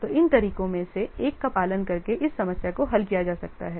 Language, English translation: Hindi, So this problem can be resolved by following one of these what methodologies